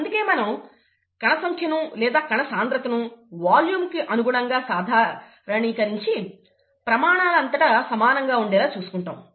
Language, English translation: Telugu, That is the reason why we normalize the cell number or the cell mass with respect to volume, we call that cell concentration, that remains the same across scales